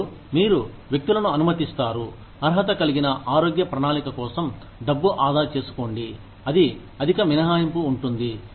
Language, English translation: Telugu, And, you let individuals, save money for a qualified health plan, that has a high deductible